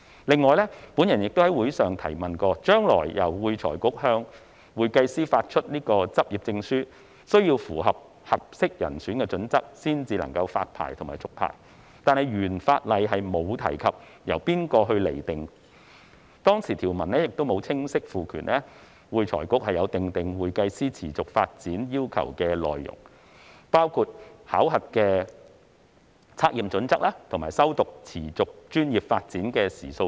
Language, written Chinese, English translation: Cantonese, 此外，我亦曾在會議上提問，將來由會財局向會計師發出執業證書，須符合"適當人選"的準則才能發牌和續牌，但原法例並無提及由何方釐定準則，當時條文亦沒有清晰賦權會財局訂定會計師持續發展要求的內容，包括考核測驗標準及持續專業進修的時數等。, In addition I have raised the following question at the meeting in the future when FRC is responsible for the issue of practising certificates to CPAs the application for and renewal of the practising certificate shall meet the requirement that the applicant is a fit and proper person . However the original legislation did not mention by whom such criteria would be set . Neither did the provisions at that time explicitly empower AFRC to determine the particulars of the continuing development requirements for CPAs including assessment and testing standards and the number of hours of continuing professional development